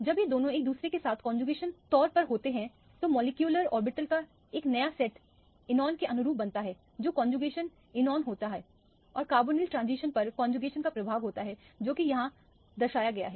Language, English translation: Hindi, When these two are in conjugation with each other then a new set of molecular orbitals are formed corresponding to the enone which is a conjugated enone and the effect of conjugation on the carbonyl transition is what is represent at here